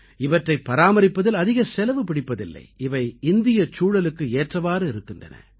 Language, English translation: Tamil, They cost less to raise and are better adapted to the Indian environment and surroundings